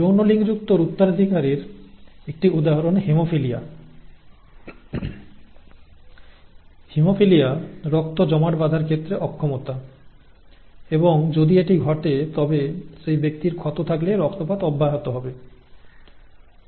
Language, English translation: Bengali, An example of sex linked inheritance is haemophilia, haemophilia is an inability to inability of the blood to clot and if that happens then the person has a wound then the person continues to bleed